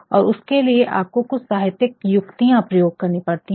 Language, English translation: Hindi, And, for that one has to use some literary devices